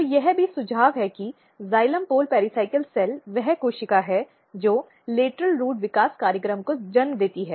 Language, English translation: Hindi, So, this also suggest that flow; xylem pole pericycle cell is the cell which gives rise to the lateral root developmental program ok